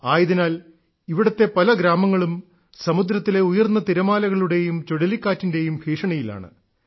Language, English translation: Malayalam, That's why there are many villages in this district, which are prone to the dangers of high tides and Cyclone